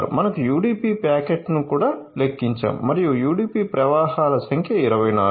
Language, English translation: Telugu, So, that is why we have counted the UDP packaging also and number of UDP flows is 24